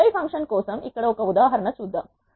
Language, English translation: Telugu, Here is an example for apply function